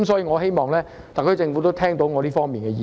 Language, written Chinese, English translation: Cantonese, 我希望特區政府聽到我對這方面的意見。, I hope the SAR Government can hear my views in this regard